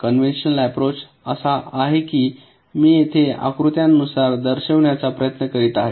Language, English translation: Marathi, the conventional approach is that i am just trying to show it diagrammatically here